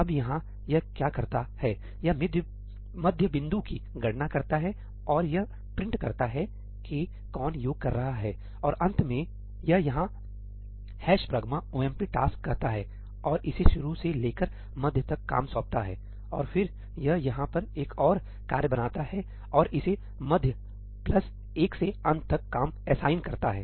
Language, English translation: Hindi, Now here what it does is, it computes the midpoint and it prints who is doing the summation; and finally, it calls ‘hash pragma omp task’ here and assigns it the work from start to mid; and then it creates another task over here and it assigns it work from mid plus 1 to end